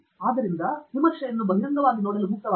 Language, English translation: Kannada, So, feel free to openly look at the review